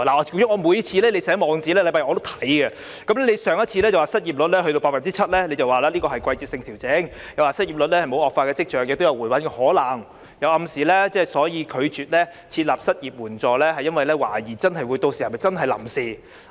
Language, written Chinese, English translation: Cantonese, 局長每個星期日寫的網誌我也會閱讀，上次你提到失業率達到 7%， 說是季節性調整，又說失業率沒有惡化的跡象，亦有回穩的可能，並暗示拒絕設立失業援助金，是因為懷疑屆時是否真的只屬臨時措施。, You once mentioned that the unemployment rate had reached 7 % saying that it was a seasonal adjustment . You also said that the unemployment rate did not show any signs of deterioration and it might stabilize . You then hinted that you refused to establish an unemployment assistance because you doubted whether it would indeed be merely a temporary measure by then